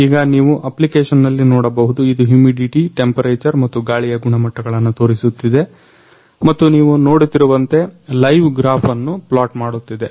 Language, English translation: Kannada, in the application you can see it is showing humidity, temperature and air quality and also plotting the live graph as you can see here